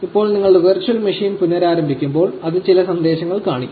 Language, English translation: Malayalam, Now, when you restart your virtual machine, it will show up some messages